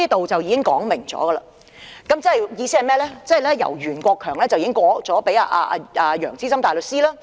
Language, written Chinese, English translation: Cantonese, "這便已說明了袁國強已把案件交給楊資深大律師處理。, This has already made it clear that Mr Rimsky YUEN had referred the case to Mr Keith YEUNG for processing